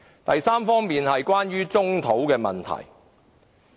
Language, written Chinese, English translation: Cantonese, 第三方面是棕地問題。, Third it is about brownfield sites